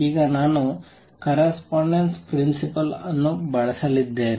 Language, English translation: Kannada, Now I am going to make use of the correspondence principle